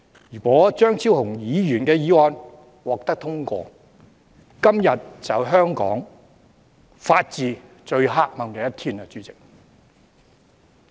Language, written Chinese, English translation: Cantonese, 如果張超雄議員的議案獲得通過，今天就是香港法治最黑暗的一天，代理主席。, Today would be the darkest day for the rule of law in Hong Kong Deputy President if Dr Fernando CHEUNGs motion was passed